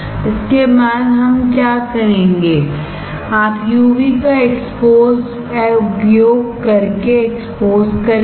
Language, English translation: Hindi, After this what we will do you will expose using UV